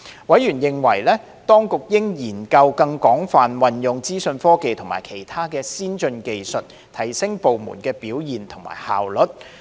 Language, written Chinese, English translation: Cantonese, 委員認為，當局應研究更廣泛運用資訊科技及其他先進技術，提升部門表現及效率。, Members opined that the Administration should make use of information technology as well as other advanced technologies more extensively to enhance departmental performance and efficiency